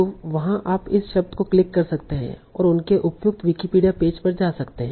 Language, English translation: Hindi, So there you can click this word and go to the appropriate Wikipedia page